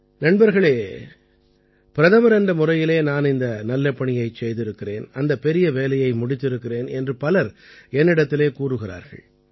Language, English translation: Tamil, Friends, many people say that as Prime Minister I did a certain good work, or some other great work